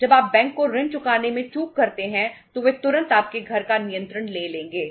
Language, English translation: Hindi, When the moment you default repaying the loan back to the bank they would immediately take the control of your house